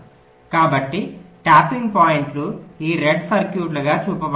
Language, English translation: Telugu, so the tapping points are shown as these red circuits